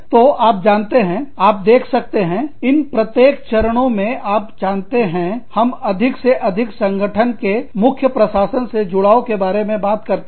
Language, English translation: Hindi, So, you know, as you can see that, each of these stages takes the, you know, talks more and more about, the engagement of the main administration of the organization